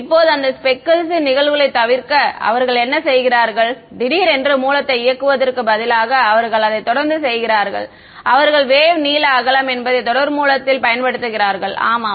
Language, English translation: Tamil, Now, to avoid that speckle phenomena what are they doing instead of turning the source on abruptly they are making it no they are still using a what are they will continuous source wavelength width so much yeah